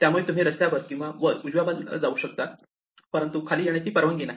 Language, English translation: Marathi, So, you can go up a road or you can go right, but you cannot come down